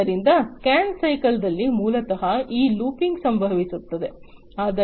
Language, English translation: Kannada, So, in the scan cycle, basically this looping happens